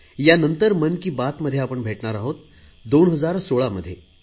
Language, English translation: Marathi, The next edition of Mann ki Baat will be in 2016